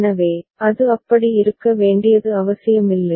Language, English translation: Tamil, So, it is not necessary that it need to be like that